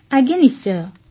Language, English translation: Odia, Yes, of course